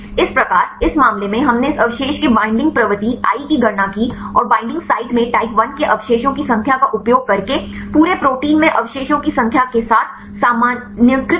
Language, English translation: Hindi, So, in this case we just calculated the binding propensity of this residue “i” using the number of residues of type i in the binding site with normalized with the number of residues in the whole protein